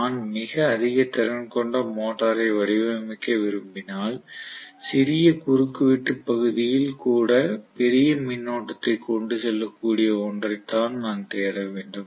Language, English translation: Tamil, So if I want a very high capacity motor I should be looking for which can carry larger current even with a smaller cross section area which is copper